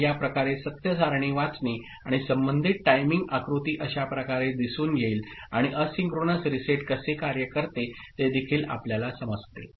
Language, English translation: Marathi, So, this is how to read the truth table and corresponding timing diagram would appear in this manner and also you understand how asynchronous reset works